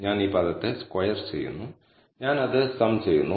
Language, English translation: Malayalam, I am squaring the term, and I am summing it